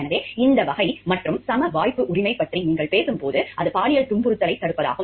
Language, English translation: Tamil, So, this type and when you talk of right to equal opportunity it is the prevention of sexual harassment